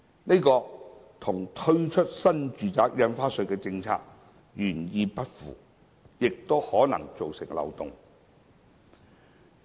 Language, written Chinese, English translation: Cantonese, 這與推出新住宅印花稅的政策原意不符，亦可能造成漏洞。, This is inconsistent with the policy objective of implementing the NRSD measure and may also create loopholes